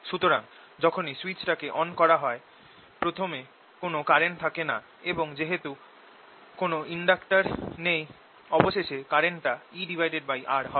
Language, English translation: Bengali, so initially, as soon as switch is turned on, there is no current, and finally, as if there's no inductor there, the current becomes e over r